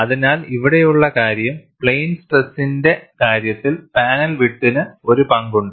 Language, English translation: Malayalam, So, the point here is, the panel width has a role to play in plane stress